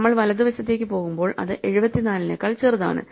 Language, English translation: Malayalam, So, we go over right then it is smaller than 74